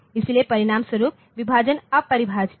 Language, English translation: Hindi, So, as a result the division is undefined